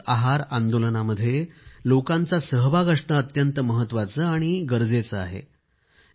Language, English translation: Marathi, In this movement pertaining to nutrition, people's participation is also very crucial